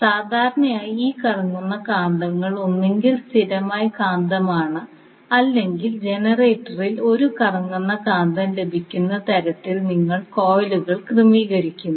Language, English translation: Malayalam, So, generally these rotating magnets are either permanent magnet or you arrange the coils in such a way that you get the rotating magnet in the generator